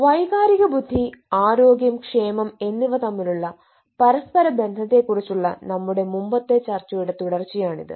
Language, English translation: Malayalam, this is in continuation with our earlier discussion on the interrelations with emotional intelligence, health and wellbeing